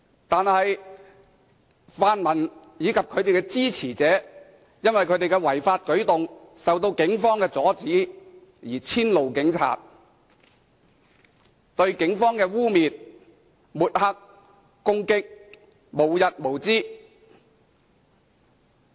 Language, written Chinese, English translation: Cantonese, 但是，泛民及其支持者因其違法舉動受到警方阻止而遷怒警察，對警方的污衊、抹黑及攻擊無日無之。, However the pan - democrats and their supporters have vented their spleen on the cops because their illegal acts were thwarted by the Police and they have never ceased to slander besmirch and attack the Police